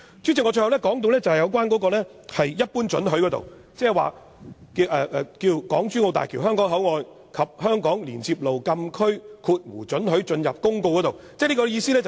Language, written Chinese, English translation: Cantonese, 主席，最後我要說一般性許可，這涉及《港珠澳大橋香港口岸及香港連接路禁區公告》。, President before I stop I would like to talk about the general permission . This is related to the Hong Kong - Zhuhai - Macao Bridge Hong Kong Port and Hong Kong Link Road Closed Area Notice